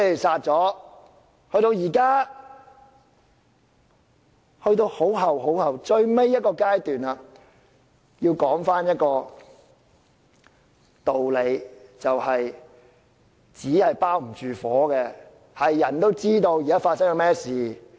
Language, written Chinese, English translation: Cantonese, 事到如今，已到了最後階段，我要說的道理是"紙包不住火"，人人都知道發生了甚麼事。, Now we have come to the final stage . As the saying goes you cant wrap fire in paper . We all know what has happened